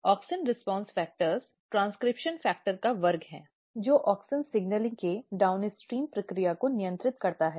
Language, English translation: Hindi, So, AUXIN RESPONSE FACTOR are class of transcription factor which basically regulates the process downstream of auxin signaling